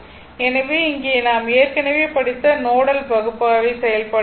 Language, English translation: Tamil, So, here nodal analysis we have already studied